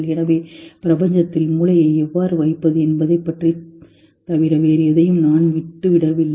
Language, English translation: Tamil, So, I don't think anything is left out except for how to place brain in the universe